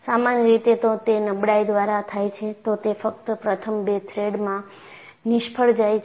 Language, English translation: Gujarati, Usually if it is by fatigue, it would fail only in the first two threads